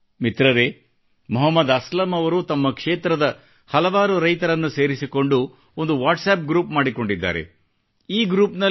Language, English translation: Kannada, Friends, Mohammad Aslam Ji has made a Whatsapp group comprising several farmers from his area